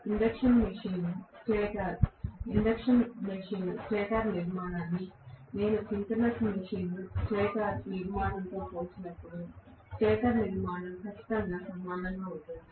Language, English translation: Telugu, The stator structure is absolutely similar when I compare the induction machine stator structure with that of the synchronous machine stator structure, right